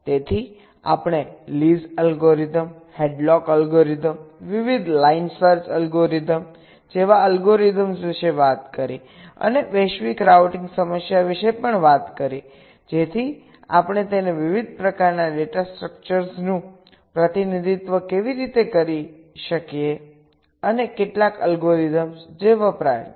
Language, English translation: Gujarati, so we talked about the algorithms like lease algorithms, headlocks algorithms, the various line search algorithms, and also talked about the global routing problem, so how we can represent it, the different kind of data structures and also some of the algorithms that are used